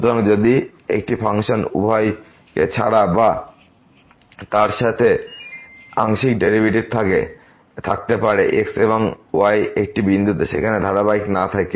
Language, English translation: Bengali, So, if a function can have partial derivative without or with respect to both and at a point without being continuous there